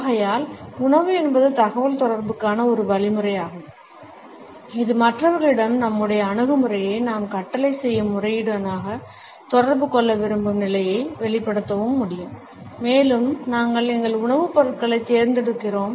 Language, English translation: Tamil, And therefore, food is a means of communication which among other things can also convey the status we want to communicate our attitude towards other people by the manner in which we order and we select our food items